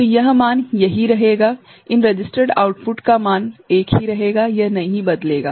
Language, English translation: Hindi, So, the value will these this registered output will remain the same, it will not change